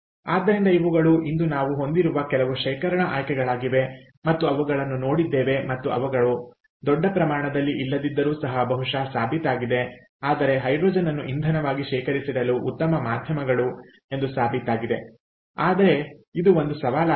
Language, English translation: Kannada, ok, so these are some options of storage that we have today that are being looked into and that are that have probably been proven if may not be at a very large scale, but have been proven to be good candidates for storage of hydrogen as fuel